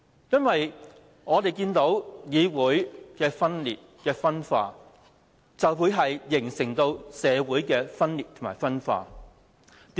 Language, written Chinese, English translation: Cantonese, 議會的分裂、分化，就會形成社會的分裂及分化。, The dissension and disintegration in a Council will turn into social dissension and disintegration